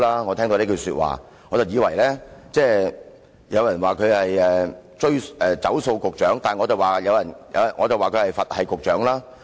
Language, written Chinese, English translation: Cantonese, 我聽到這句說話便感安心，有人說他是"走數局長"，但我說他是"佛系局長"。, Some people dub him as the defaulting Secretary yet I will say that he is the Buddha - like Secretary